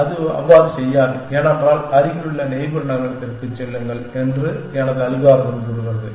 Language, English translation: Tamil, But, it will not do that because, my algorithm says go to nearest neighbor